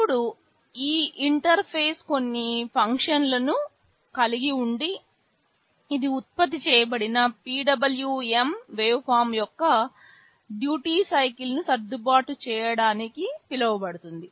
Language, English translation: Telugu, Now, this interface has some functions that can be called to adjust the duty cycle of the PWM waveform that has been generated